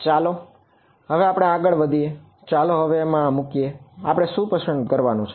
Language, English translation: Gujarati, So, now let us proceed further, let us now put in now what does it that we have to choose